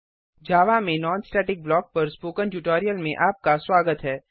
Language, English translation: Hindi, Welcome to the Spoken Tutorial on Non static block in java